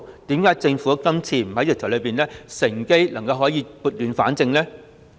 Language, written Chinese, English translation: Cantonese, 為何政府今次修訂條例時不趁機撥亂反正？, Why did the Government not seize the opportunity to rectify the situation in this exercise?